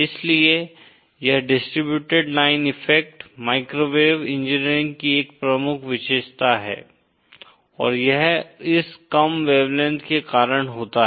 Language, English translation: Hindi, So that is why, this distributed line effects are a prominent feature of microwave engineering and that happens because of this low wavelength